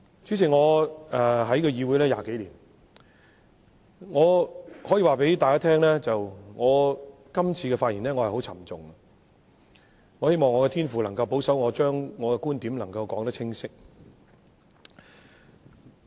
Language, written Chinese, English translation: Cantonese, 主席，我在議會20多年，我可以告訴大家，我這次發言心情很沉重，我希望我的天父能夠保守我把觀點清楚說出。, President I have been a legislator for over 20 years and I can tell you that at this moment I am speaking with a very heavy heart . I hope that God can guard my mind so that I can spell out my viewpoints